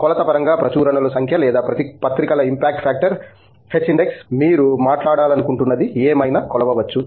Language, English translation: Telugu, We can measure in terms of matrix like number of publications or the impact factors of the journals, h index, whatever it is that you want to talk about